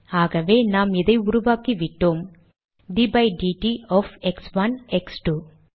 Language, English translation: Tamil, So we have created d by dt of x1 x2